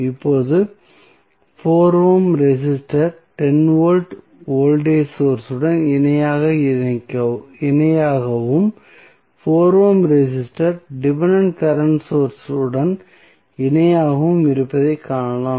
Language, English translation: Tamil, Now, if you see the figure that 4 ohm resistor is in parallel with 10 volt voltage source and 4 ohm resistor is also parallel with dependent current source